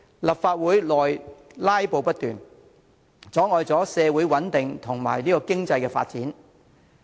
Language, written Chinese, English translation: Cantonese, 立法會內"拉布"不斷，破壞社會穩定，妨礙經濟發展。, They keep filibustering in the Legislative Council which disrupts social stability and hinders economic development